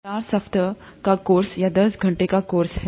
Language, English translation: Hindi, This is a four week course or a ten hour course